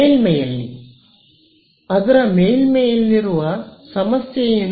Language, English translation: Kannada, On the surface, what is the problem with the on the surface